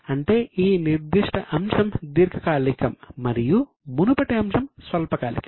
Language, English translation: Telugu, That means this particular item is long term and this item is short term